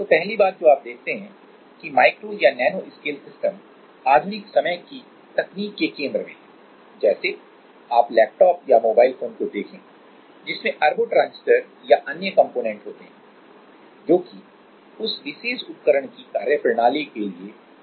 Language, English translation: Hindi, So, the first thing is you see that micro or nano scale systems are at the heart of modern day technology you take like a laptop or a mobile phone there are a billions of transistors and other components, right which are kind of very much necessary for the working of that particular device